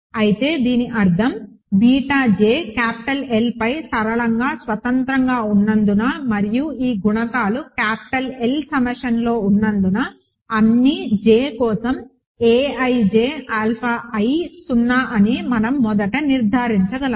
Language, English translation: Telugu, But that means, we can first conclude that because beta j are linearly independent over capital L and these coefficients are in capital L summation a ij alpha i is 0 for all j